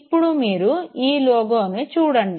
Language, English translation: Telugu, Now look at this very logo